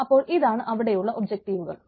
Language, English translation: Malayalam, so these are ah, these are objectives which are there